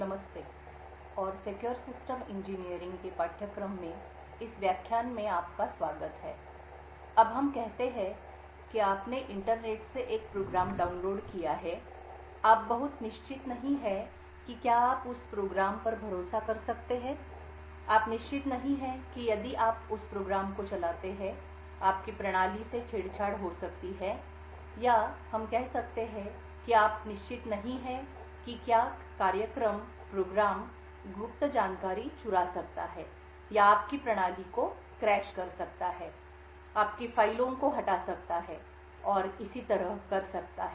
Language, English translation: Hindi, Hello and welcome to this lecture in the course for Secure Systems Engineering, now let us say that you have downloaded a program from the internet, you are not very certain whether you can trust that program, you are not certain that if you run that program your system may get compromised or let us say you are not certain whether that program may steal secret information or may crash your system, may delete your files and so on